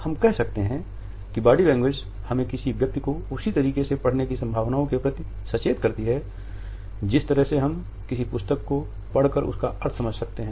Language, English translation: Hindi, We can say that the body language alerts us to the possibilities of reading an individual in the same manner in which we can read a book and decipher its meaning